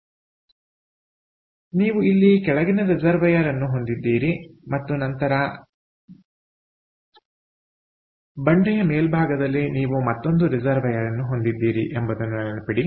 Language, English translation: Kannada, so remember, you have base reservoir here and then at the top of the cliff you have another reservoir